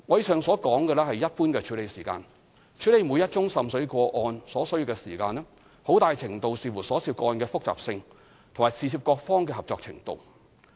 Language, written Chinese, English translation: Cantonese, 上述只是一般處理時間；處理每宗滲水個案所需的時間，很大程度視乎所涉個案的複雜性和事涉各方的合作程度。, Outlined above is only the normal processing time . The time required for processing a water seepage case largely depends on the complexity of the case and the extent of cooperation of the parties concerned